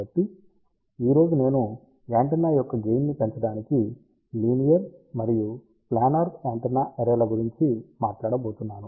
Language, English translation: Telugu, So, today I am going to talk about linear and planar antenna arrays to increase the gain of the antenna